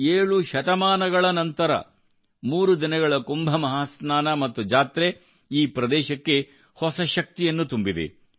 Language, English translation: Kannada, Seven centuries later, the threeday Kumbh Mahasnan and the fair have infused a new energy into the region